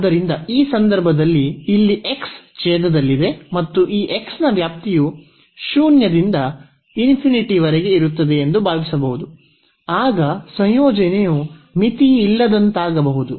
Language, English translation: Kannada, So, in this case one might think that here the x is in the denominator and the range of this x is from 0 to infinity then the integrand may become unbounded